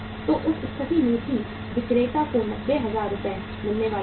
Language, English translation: Hindi, So in that case also the seller was going to get 90,000 Rs